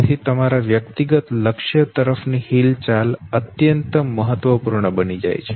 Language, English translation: Gujarati, So your movement towards the personal goal that becomes extremely important, okay